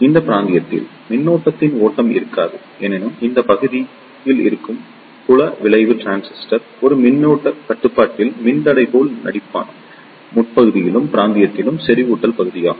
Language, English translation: Tamil, In this region, there will not be any flow of current; however, in this region the field effect transistor will act like a voltage controlled resistor and this region is the saturation region